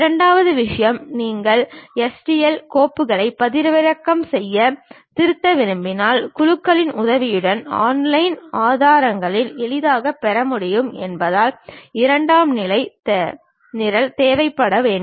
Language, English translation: Tamil, And second thing, if you wish to download and edit STL files a secondary program must be required as we can easily get it on online resources with the help from groups